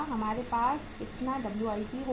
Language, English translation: Hindi, How much WIP we will have